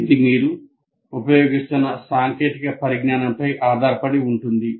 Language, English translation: Telugu, It depends on the kind of technology that you are using